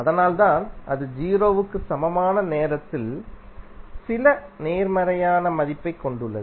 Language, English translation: Tamil, So that is why it is having some positive value at time t is equal to 0